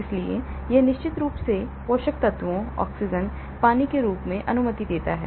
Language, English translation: Hindi, so it allows of course as I said nutrients, oxygen, water